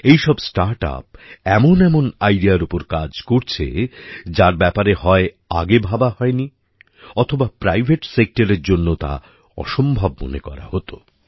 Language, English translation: Bengali, All these startups are working on ideas, which were either not thought about earlier, or were considered impossible for the private sector